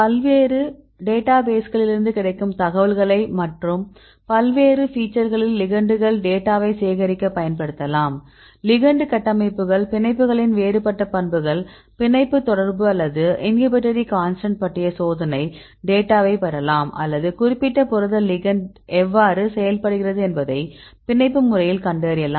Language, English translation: Tamil, So, we can utilize the information available in different databases right to collect the data of the ligands on various aspects; either the ligand structures or we can get different properties of the ligands or the experimental data on the binding affinity or the inhibitory constant or you can see binding mode right how the ligand interacts with the particular protein right